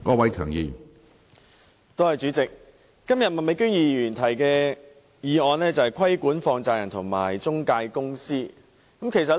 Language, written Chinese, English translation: Cantonese, 主席，麥美娟議員今天提出"促請政府加強規管放債人及財務中介公司"的議案。, President Ms Alice MAK has proposed a motion today on Urging the Government to step up the regulation of money lenders and financial intermediaries